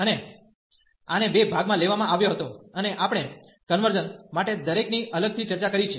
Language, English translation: Gujarati, And this was taken into two parts, and we have discussed each separately for the convergence